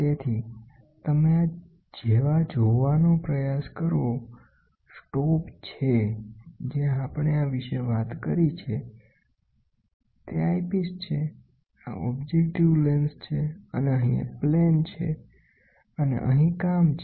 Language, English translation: Gujarati, So, you try to view like this is the stop whatever we have talked about this is the eyepiece this is the objective lens, and here is a plane, and here is the work